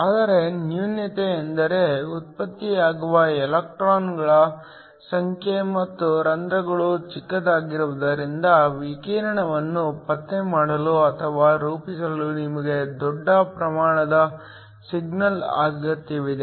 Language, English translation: Kannada, But the drawback is the number of electrons and holes generated are small so that you need a large amount of signal in order to form or in order to be able to detect the radiation